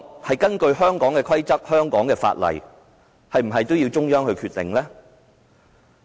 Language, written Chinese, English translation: Cantonese, 是根據香港的規則和香港的法例，還是也要由中央決定？, Should a judgment be made on the basis of the rules and the laws of Hong Kong or should a judgment be made by the Central Authorities?